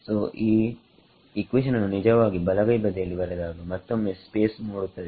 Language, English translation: Kannada, So, lest actually write this equation on the right hand side make some space again